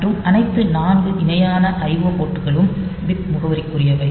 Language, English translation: Tamil, So, they are bit addressable and all 4 parallel IO ports